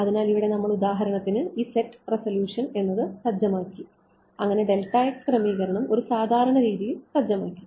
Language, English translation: Malayalam, So, here we set for example, this set resolution so, that setting delta x in some normalized way